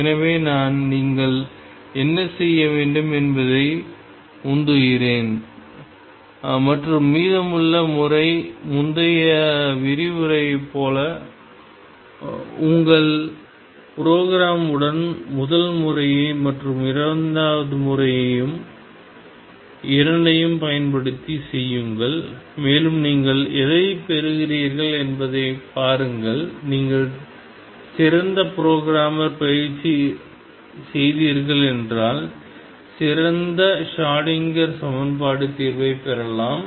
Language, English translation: Tamil, So, what I would urge you to do and the rest of the method is the same as in previous lecture that play with your programme using both method one and method two and see what you get more you practice better programmer better Schrodinger equation solver you would become